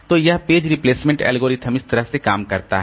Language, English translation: Hindi, So, this is the page replacement algorithm works like this